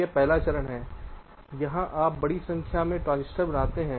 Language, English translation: Hindi, so the first step: you create a large number of transistors which are not connected